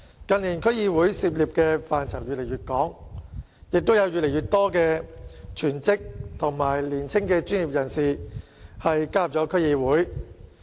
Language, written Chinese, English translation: Cantonese, 近年區議會涉足的範疇越來越廣，亦有越來越多全職和年輕的專業人士加入區議會。, In recent years DCs have been involved in increasingly extensive areas and an increasing number of young professionals as well as people serving as full - time members have joined DCs